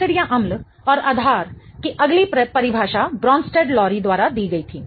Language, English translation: Hindi, The next definition of acids and basis was given by Bronstead and Lowry